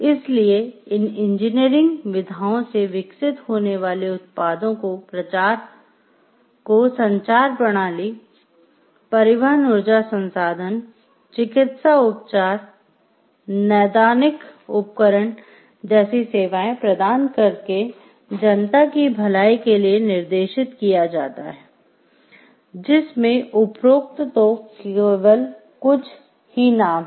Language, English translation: Hindi, So, the products that are developed out of these engineering practices are directed towards the public good by providing services like communication system, transportation energy resources, medical treatments, diagnostic equipments, these are only to name a few there are large gamut of things